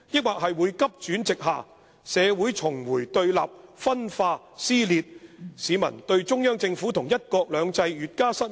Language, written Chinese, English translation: Cantonese, 還是急轉直下，社會重回對立分化撕裂，市民對中央政府和'一國兩制'越加失望？, Or will things spiral down and the division in society keeps on widening and laceration deepening and the people be more disappointed with the Central Government and the implementation of one country two systems?